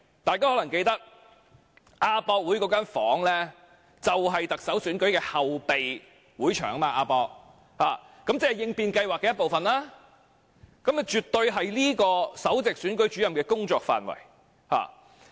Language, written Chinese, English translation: Cantonese, 大家可能記得，亞博館那間房間就是特首選舉的後備會場，亦即應變計劃的一部分，絕對是這名首席選舉事務主任的工作範圍。, Members may remember that the room at AsiaWorld - Expo was the backup venue of the Chief Executive Election that is part of the contingency plan which was definitely within the scope of work of this Principal Electoral Officer